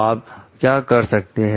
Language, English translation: Hindi, What should you do